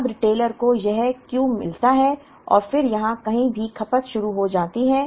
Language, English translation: Hindi, Now, the retailer gets this Q and then starts consuming somewhere here